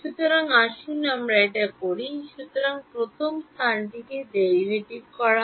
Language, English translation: Bengali, So, let us do that; so, first is the spatial derivative